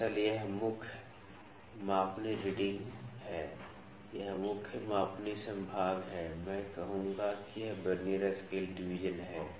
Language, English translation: Hindi, Actually, this is main scale reading, this is main scale division I would say this is Vernier scale division